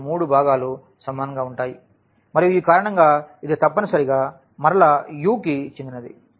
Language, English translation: Telugu, So, all three components are equal and that that is the reason it must belong to this U again